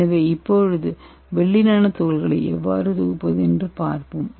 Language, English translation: Tamil, So let us see how to synthesize gold, Nano rods, okay